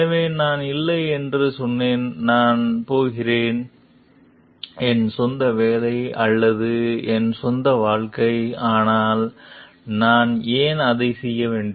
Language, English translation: Tamil, So, I said not, I am going to my own job or my own life, so why should I do it